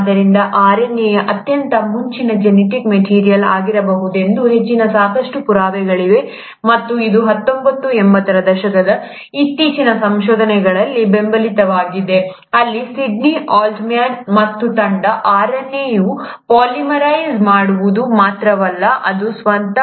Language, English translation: Kannada, So, there are enough proofs which suggest that RNA might have been the earliest genetic material, and this was also supported by the recent findings in nineteen eighties, where Sydney Altman and team, that RNA can not only polymerize, it is also has the ability to cleave itself